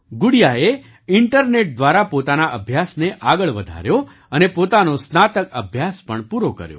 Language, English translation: Gujarati, Gudiya carried on her studies through the internet, and also completed her graduation